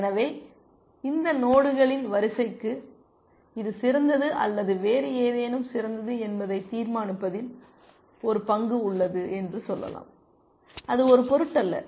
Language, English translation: Tamil, So, let us say this sequence of nodes has a role to play in determining that either this better or something else is better,